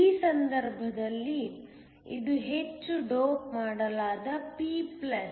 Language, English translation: Kannada, In this case, it is heavily doped p plus